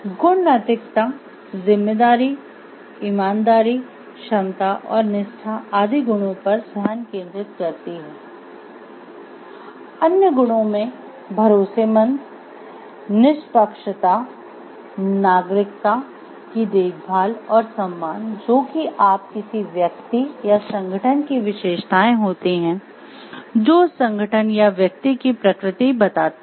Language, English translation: Hindi, Virtue ethics focuses onwards such as responsibility honesty competence and loyalty which are the virtues, other virtues might also include trustworthiness fairness caring citizenship and respect these you see are defining qualities of the characteristics of a particular person or an organization that defines the nature of that organization or person